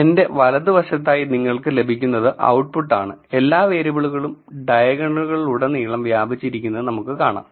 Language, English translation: Malayalam, On my right this is the output you will get so, we can see that all the variables are mentioned across the diagonals